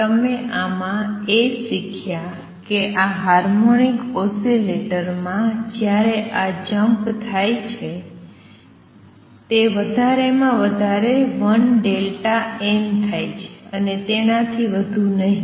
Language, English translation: Gujarati, What you learned in this that in this harmonic oscillator when the jumps takes place, they take place at most by 1 delta n and not more than that